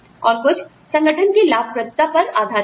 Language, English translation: Hindi, And, some on the profitability of the organization